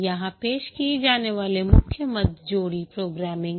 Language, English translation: Hindi, The main items that are introduced here is pair programming